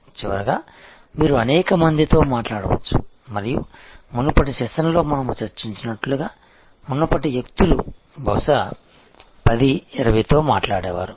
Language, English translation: Telugu, And lastly, of course, you can talk to number of people and as we discussed in the previous session, earlier people used to talk to may be 10, 20